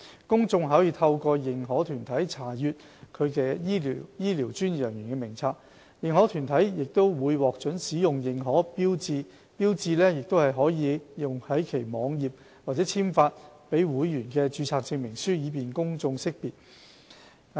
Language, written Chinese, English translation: Cantonese, 公眾可透過認可團體查閱其醫療專業人員名冊。認可團體會獲准使用認可標誌，標誌可用於其網頁及簽發予會員的註冊證明書，以便公眾識別。, The public can look up the registers of health care professionals through the accredited bodies which will be permitted to use an accreditation mark on their websites and on the Certificates of Registration issued to their members for the publics easy identification